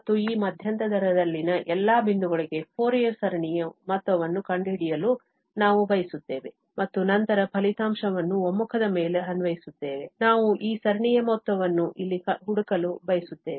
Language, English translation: Kannada, And, we want to find the sum of the Fourier series for all points in this interval and then applying the result on the convergence, we want to find the sum of this series here